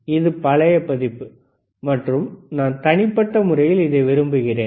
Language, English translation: Tamil, tThis is the older version and I use personally like